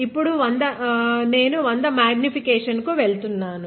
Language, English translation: Telugu, I am going to 100 x magnification now